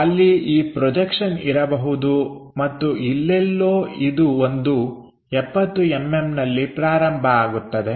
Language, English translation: Kannada, So, there might bethis projection and somewhere this one begins at 70 mm